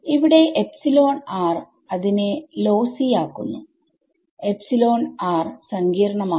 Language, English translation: Malayalam, So, over here I can say epsilon r make it lossy exactly epsilon r will become complex